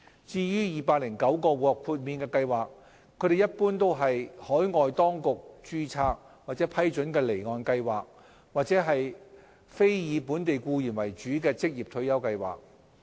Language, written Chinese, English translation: Cantonese, 至於209個獲豁免計劃，他們一般為海外當局註冊或批准的離岸計劃或非以本地僱員為主的職業退休計劃。, As for the 209 exempted schemes they were generally offshore schemes registered or approved by overseas authorities or ORSO schemes where the majority of members were not Hong Kong employees